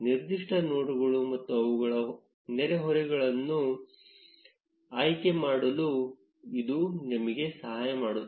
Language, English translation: Kannada, It can help you select specific nodes and their neighbors